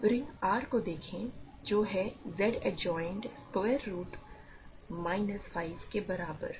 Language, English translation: Hindi, Now, let us look at the ring R equal to Z adjoined square root of minus 5